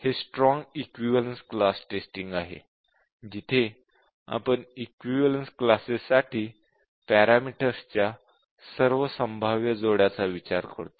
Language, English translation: Marathi, This is strong equivalence class testing, in which we consider all possible combinations of the equivalence classes for the parameters